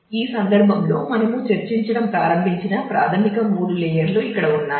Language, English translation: Telugu, So, in this context then the basic three layers that we started discussing with are here